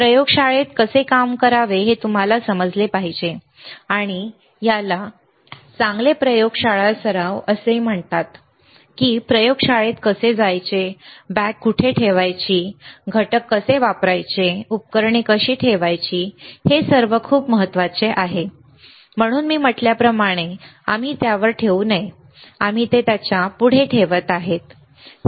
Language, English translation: Marathi, You should understand how to work in a laboratory, and that is called good laboratory practices how to enter the lab, where to keep the bag, how to use the components, how to place the equipment, that is how it is very important all, right